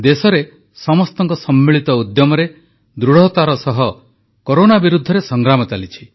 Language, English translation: Odia, The battle against Corona is being fiercely waged in the country through collective efforts